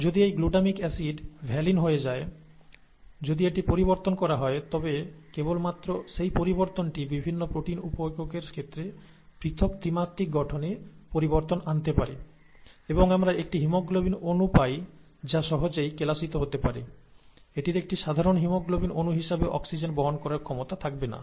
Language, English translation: Bengali, If, if that is changed, then just that one change can bring about a different conformation, different three dimensional folding in the case of the various protein sub units, and we get a haemoglobin molecule that can easily crystallize out, it will not have an ability to carry oxygen as a normal haemoglobin molecule does